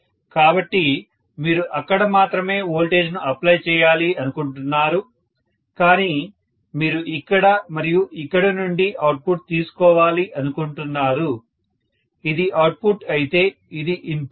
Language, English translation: Telugu, Both of them together, so you want to apply the voltage only here but you want to take the output from here and here, this is the output whereas this is the input